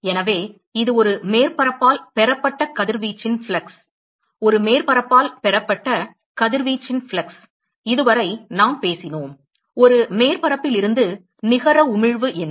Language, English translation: Tamil, So, this is the flux of radiation received by a surface, the flux of radiation received by a surface, so far we talked about, what is the net emission from a surface